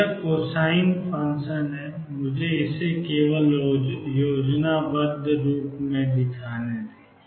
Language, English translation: Hindi, So, this is the cosine function let me just show it schematically